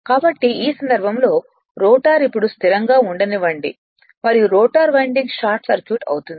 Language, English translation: Telugu, So, in this case so in this case let the rotor be now held stationary and the rotor winding is short circuited